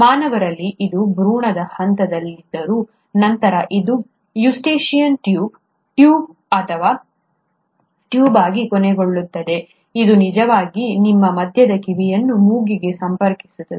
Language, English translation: Kannada, Well in humans, though it is present in the embryonic stage, it later ends up becoming a ‘Eustachian Tube’, tube or a tube which actually connects your middle ear to the nose